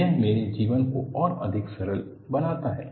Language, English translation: Hindi, It makes my life lot more simple